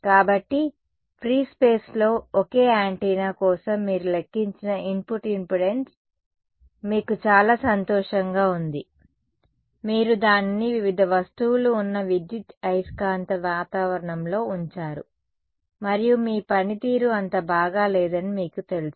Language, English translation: Telugu, So, the input impedance that you have calculated for a single antenna in free space you were very happy about it, you put it into an electromagnetic environment where there are various objects and suddenly you find that your you know your performance is not so good right